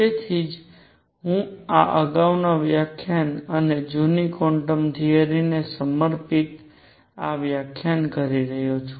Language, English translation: Gujarati, That is why I am doing this the previous lecture and this lecture devoted to old quantum theory